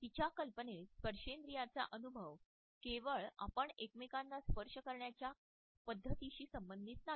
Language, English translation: Marathi, In her idea the haptic experience is not only related with the way we touch each other